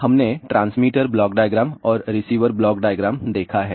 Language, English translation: Hindi, So, we are looked into the transmitter block diagram as well as receiver block diagram